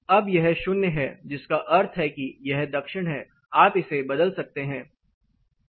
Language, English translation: Hindi, Now it is zero which means it is south you can change it